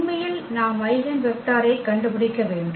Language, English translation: Tamil, Actually we have to look for the eigenvector